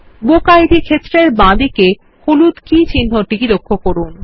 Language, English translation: Bengali, Notice the yellow key symbol to the left of the BookId field